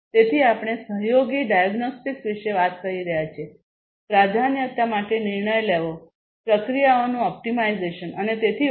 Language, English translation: Gujarati, So, we are talking about you know collaborative diagnostics, decision making for prioritization, optimization of processes and so on